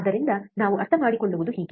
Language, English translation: Kannada, So, this is how we can understand